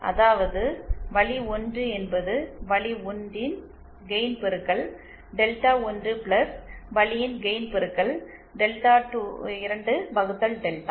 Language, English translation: Tamil, That is Path 1 multiplied by path 1 gain multiplied by delta 1 + path to gain multiplied by delta 2 upon delta